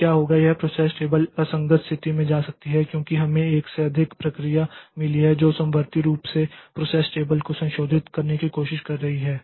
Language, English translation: Hindi, Then what will happen is that this process table may go to an inconsistent state because we have got more than one process which are concurrently trying to modify the process table